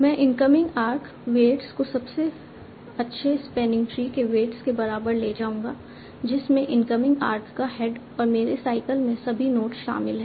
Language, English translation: Hindi, I will take the incoming arc weights as equal to the weights of the best spanning tree that includes the head of the incoming arc and all the notes in my cycle